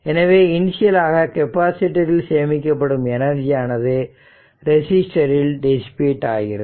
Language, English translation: Tamil, So, initial energy stored in the capacitor eventually dissipated in the resistor